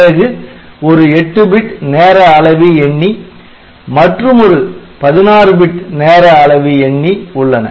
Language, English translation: Tamil, So, one 8 bit timer counter, one 16 bit timer counter so, you have got analog comparator